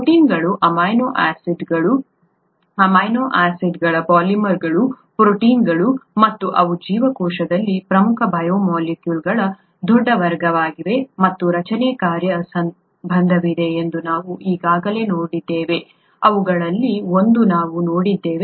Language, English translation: Kannada, We have already seen that proteins, amino acids, polymers of amino acids are proteins and they are a large class of important biomolecules in the cell and there is a structure function relationship, one of which we have seen